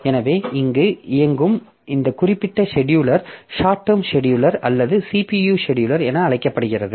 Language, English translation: Tamil, So, this particular scheduler that is running here which is known as short term scheduler or CPU scheduler, that has to be very fast